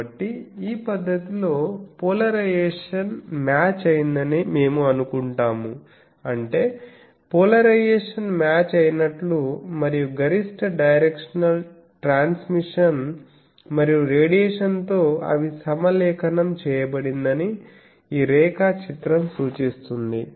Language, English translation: Telugu, So, in this technique we assume that polarization is matched, that means again referring to this diagram that polarization is matched and maximum directional transmission and radiation they are aligned with